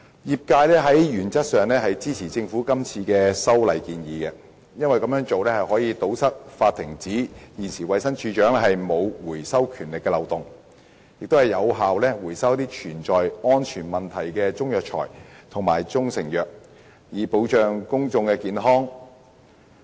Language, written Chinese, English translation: Cantonese, 業界原則上支持政府今次的修訂建議，因為這樣做可以堵塞現行法例上衞生署署長沒有權力發出回收指令的漏洞，令一些有安全問題的中藥材或中成藥得以有效回收，以保障公眾健康。, In principle the industry supports the amendments proposed by the Government in this exercise because it can plug the loophole in the existing law under which the Director of Health does not have the power to issue any recall instruction . Chinese herbal medicines or proprietary Chinese medicines which have safety problems can thus be recalled effectively to protect public health